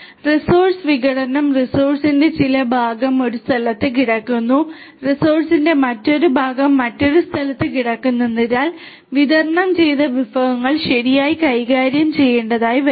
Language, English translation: Malayalam, Resource fragmentation some part of the resource lies in one location another part of the resource lies in another location so the distributed resources will have to be handled properly